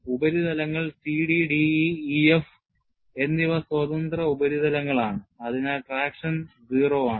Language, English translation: Malayalam, Surfaces C D, D E and E F are free surfaces; hence traction is 0; thus the second term is 0